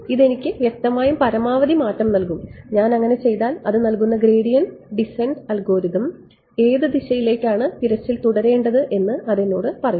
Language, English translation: Malayalam, It will clearly me maximum change and it will tell me that if I did, for example, the gradient descent algorithm which direction will the search go right